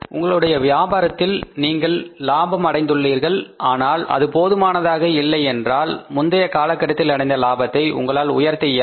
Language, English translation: Tamil, If the business has earned a profit and that is not up to the mark you can't increase the profit for the previous period